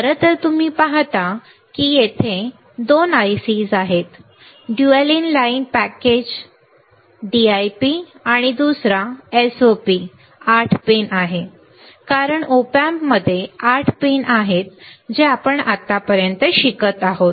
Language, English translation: Marathi, In fact, you see that there are 2 ICs one is dual in line package DIP, another one is a SOP is 8 pin, because the op amp has the 8 pin that we are learning until now right